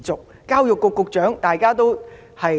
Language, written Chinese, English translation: Cantonese, 還有教育局局長。, And then the Secretary for Education